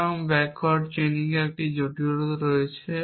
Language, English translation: Bengali, So, backward chaining has this complication